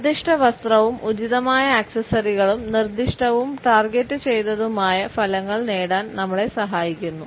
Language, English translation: Malayalam, Correct outfit and appropriate accessories help us to elicit specific and targeted results